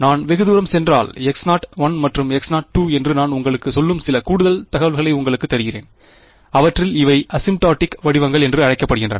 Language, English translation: Tamil, If I go far away, I am giving you some extra information I am telling you that H naught 1 and H naught 2, they have these what are called asymptotic forms